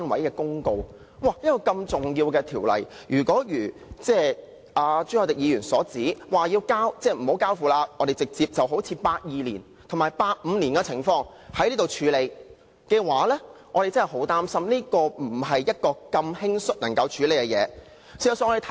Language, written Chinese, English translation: Cantonese, 一項如此重要的《條例草案》，朱凱廸議員動議不交付內務委員會處理，正如1982年及1985年的情況般，直接在本次立法會會議處理，我恐怕這不是如此輕率就能處理的議題。, Mr CHU Hoi - dick has proposed a motion to the effect that such an important Bill be not referred to the House Committee as with the cases in 1982 and 1985 but be dealt with by the Legislative Council forthwith at this meeting this time around . I am afraid this question cannot be dealt with in such a casual manner